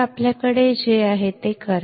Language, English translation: Marathi, So, do what we have